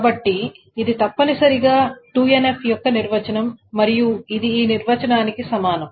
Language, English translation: Telugu, So this is essentially the definition of 2NF and this is equivalent to this definition